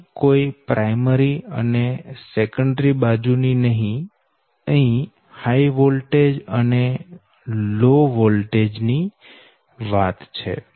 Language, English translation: Gujarati, look, i am not using any primary or secondary, i am only talking about the high voltage and low voltage right